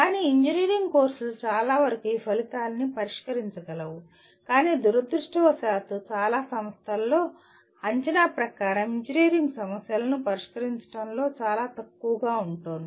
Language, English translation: Telugu, But majority of the engineering courses may address this outcome but unfortunately assessment in many institutions fall far short of solving engineering problems leave alone complex engineering problems